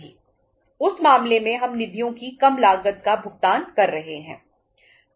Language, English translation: Hindi, In that case we are paying the lesser cost of the funds